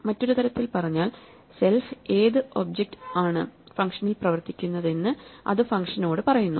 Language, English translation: Malayalam, So, self in other words, tells the function which object it is operating on itself